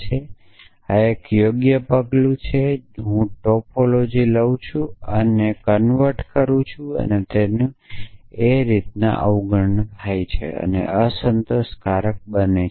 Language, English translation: Gujarati, So, you must convenience yourself that this is the sound step that if I take topology and convert and convert its take it is negation it becomes unsatisfiable